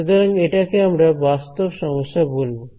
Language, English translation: Bengali, So, this is we will call this a real problem right